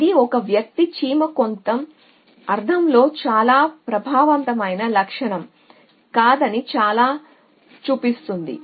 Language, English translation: Telugu, the very shows that an individual ant cannot be a very effective feature in some sense